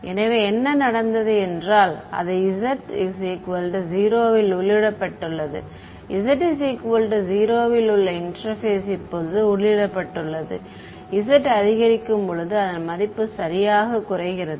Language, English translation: Tamil, So, what has happened is that it’s entered inside at z equal to 0 is the interface right at z equal to 0 is entered now as z increases its value decreases right